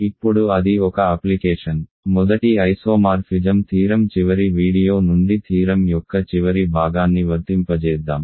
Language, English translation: Telugu, Now that is one application first isomorphism theorem let us apply the last part of the theorem from last video